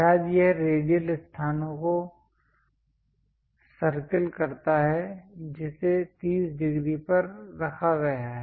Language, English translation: Hindi, Perhaps this circle the radial location that is placed at 30 degrees